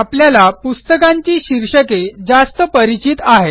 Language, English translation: Marathi, For us, book titles are friendlier